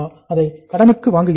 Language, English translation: Tamil, Are we buying it on credit